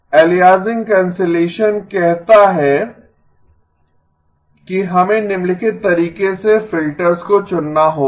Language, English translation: Hindi, Aliasing cancellation says that we have to choose the filters in the following manner